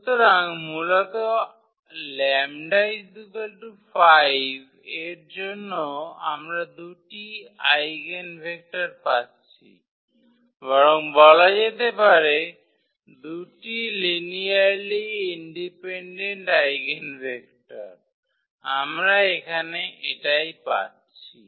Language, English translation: Bengali, So, basically corresponding to lambda is equal to 5 we are getting 2 eigenvectors or rather to say 2 linearly independent eigenvectors, we are getting in this case